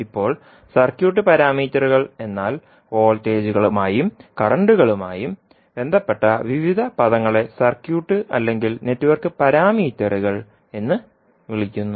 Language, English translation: Malayalam, Now, when you say circuit parameters basically the various terms that relate to these voltages and currents are called circuit or network parameters